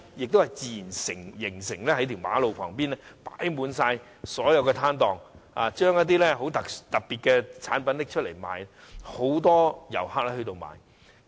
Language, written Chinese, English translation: Cantonese, 那是自然形成的，在路旁開設了很多攤檔，售賣一些特色產品，很多遊客前往購買。, It was formed naturally . Many stalls were set up by the roadsides selling goods with special features and many visitors went there for shopping